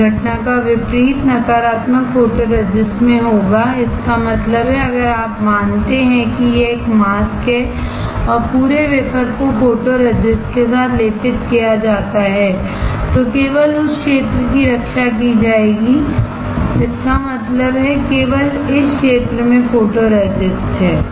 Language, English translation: Hindi, In negative photoresist opposite of this phenomena will take place; that means, if you consider that this is a mask and the whole wafer is coated with photoresist then only that area will be protected; that means, only this area has photoresist